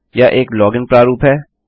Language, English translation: Hindi, It is a login form